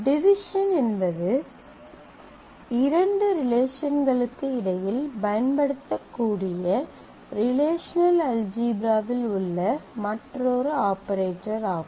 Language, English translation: Tamil, Division is a is another operator in relational algebra that can be applied between two relations, but it is a derived operation